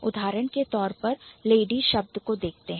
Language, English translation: Hindi, Let's look at the word lady